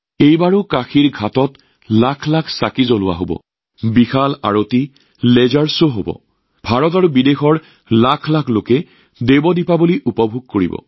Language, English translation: Assamese, This time too, lakhs of lamps will be lit on the Ghats of Kashi; there will be a grand Aarti; there will be a laser show… lakhs of people from India and abroad will enjoy 'DevDeepawali'